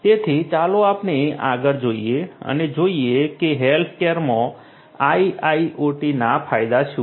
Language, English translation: Gujarati, So, let us look further ahead and see what are the benefits of IIoT in healthcare